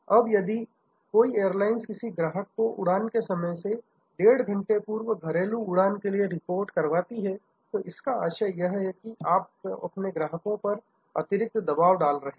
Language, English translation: Hindi, Now, if some airlines starting existing that customer as to report 1 and a half hours before the flight time are checking before 1 and half hours before on a domestic flight; that means, you are putting some more pressure in the customer